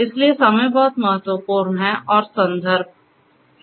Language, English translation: Hindi, So, timing is very important and the context